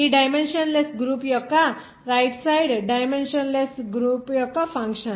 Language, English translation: Telugu, This dimensionless group as a function of the dimensionless group of the right hand side here